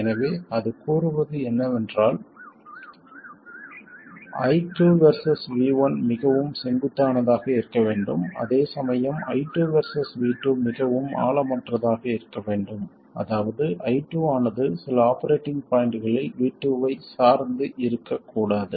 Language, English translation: Tamil, So, what it says is that I2 versus V1 has to be very steep, whereas I2 versus V2 has to be very shallow, that is I2 should not depend on V2 at all around some operating point